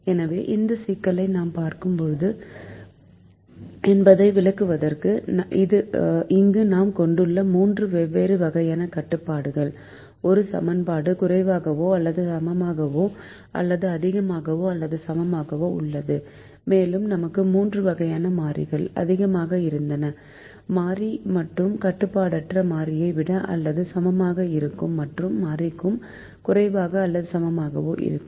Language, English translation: Tamil, so to explain that, we looked at this problem, which is a minimization problem, with three different types of constraints that we have here an equation less than or equal to under greater than or equal, and we also had three types of variables: a greater than or equal to variable and unrestricted variable and a less than or equal to variable